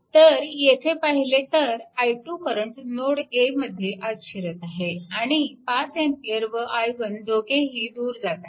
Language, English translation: Marathi, So, if you look into that, therefore this i 2 current entering at node a, so the and 5 ampere and i 1 both are leaving